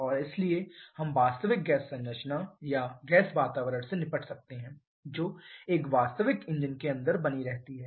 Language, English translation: Hindi, And so it we can deal with the real gas composition or gas environment that persists inside a real engine